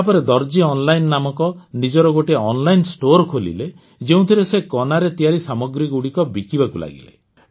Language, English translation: Odia, After this he started his online store named 'Darzi Online' in which he started selling stitched clothes of many other kinds